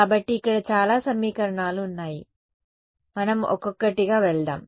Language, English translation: Telugu, So, let us there is a lot of equations here let us just go one by one